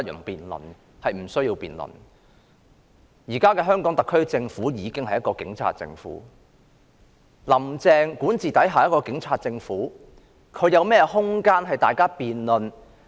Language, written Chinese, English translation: Cantonese, 現時的香港特區政府已經是一個警察政府，"林鄭"管治下的警察政府還有何空間讓大家辯論？, Now that the Hong Kong SAR Government is already a police state is there still any room for us to debate under a police state led by Carrie LAM?